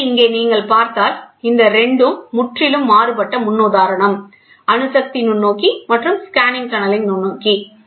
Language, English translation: Tamil, So, here if you see, these 2 are completely different paradigm; atomic force microscope and scanning tunneling microscope